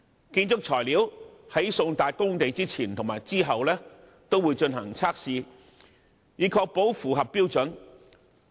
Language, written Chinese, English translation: Cantonese, 建築材料在送達工地的前後均會進行測試，以確保符合標準。, Furthermore construction materials will be tested both before and after delivery to the site to ensure that they comply with the standard